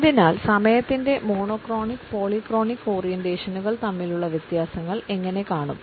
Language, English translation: Malayalam, So, how do we look at the differences between the monochronic and polychronic orientations of time